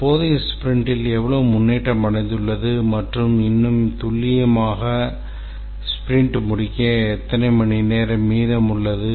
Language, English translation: Tamil, It captures how much progress has been achieved in the current sprint or more accurately how much hours are remaining for the sprint to complete